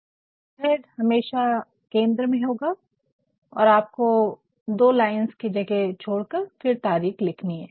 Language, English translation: Hindi, The letterhead will always be in the centre and you have to leave two spaces and then write the dateline